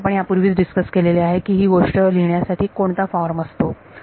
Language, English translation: Marathi, And we have already discussed what is the form to write this thing